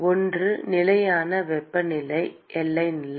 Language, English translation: Tamil, One is the constant temperature boundary condition